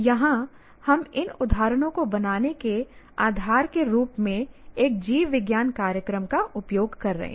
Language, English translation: Hindi, Here we are using the biology program as the basis for creating these examples